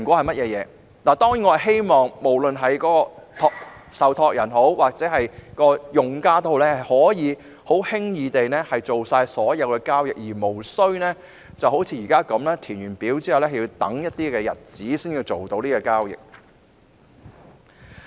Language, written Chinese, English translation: Cantonese, 我希望受託人及計劃成員屆時均可輕易地處理所有交易，而無須像現時這般，填表後要等上數天才能完成交易。, It is hoped that both the trustees and scheme members can then complete all their MPF transactions easily without having to wait for days as what is happening right now